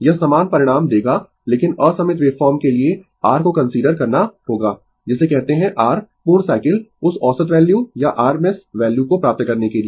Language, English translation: Hindi, It will give you the same results, but for unsymmetrical wave form, you have to consider your what you call that your complete cycle right to get that average value or rms value right